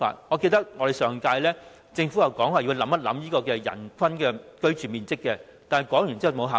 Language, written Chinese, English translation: Cantonese, 我記得政府在上屆立法會曾說過會考慮人均居住面積，但說過之後便再無下文。, I remember that the Government once told the Legislative Council of the previous term that it would consider the living space per person but we heard nothing further